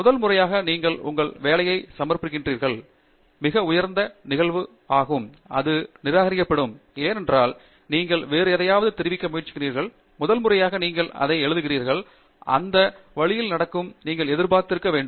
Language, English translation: Tamil, First time you submit your work, very high probability, it will get rejected because you are trying to convey something to somebody else, very first time you are writing something, it will happen that way, and you have to be expecting it